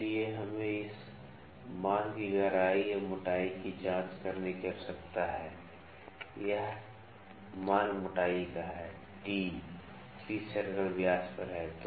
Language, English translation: Hindi, So, we need to check the depth or the thickness here this value, this value thickness t at the pitch circle diameter